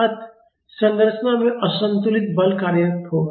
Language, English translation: Hindi, So, there will be unbalanced force acting in the structure